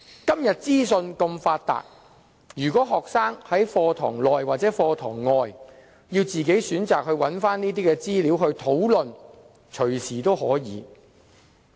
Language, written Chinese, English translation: Cantonese, 今天資訊如此發達，學生隨時可在課堂內外自行選擇有關資料來討論。, In todays information - rich environment students can get the relevant information at any time for discussion inside or outside their classrooms